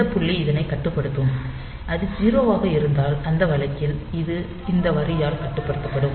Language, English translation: Tamil, So, this point will be controlling this and if it is 0, in that case it will be controlled by this line